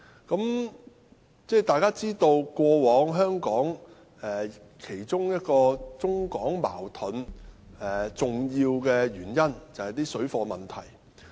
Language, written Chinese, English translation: Cantonese, 大家都知道，過往中港矛盾的其中一個重要原因是水貨問題。, As we all know one of the important reasons for the past China - Hong Kong conflicts was parallel - goods trading